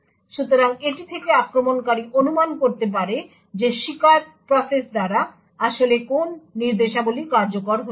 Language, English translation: Bengali, So from this the attacker can infer what instructions were actually executed by the victim process